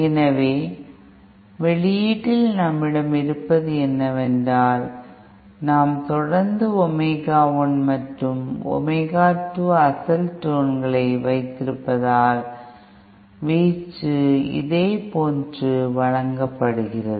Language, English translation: Tamil, So at the output what we will have is, we will continue having our original tones at Omega 1 and Omega 2 with amplitude given like this and this